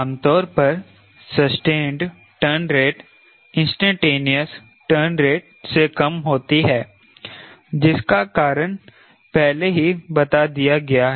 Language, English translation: Hindi, typically sustained turn rates are lower than instantaneous turn rate for reason much explained earlier